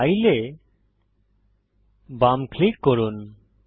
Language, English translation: Bengali, Left click File